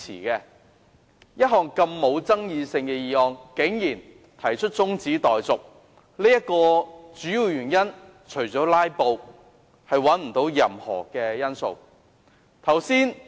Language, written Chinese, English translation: Cantonese, 一項沒有爭議性的議案，竟然有議員提出中止待續，除了"拉布"，我找不到任何其他理由。, I cannot find any reason other than filibustering for a Member to move that the debate on a motion without any controversy be adjourned